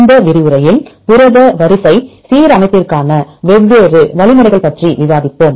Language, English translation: Tamil, In this lecture we will discuss about the different algorithms for alignment of protein sequences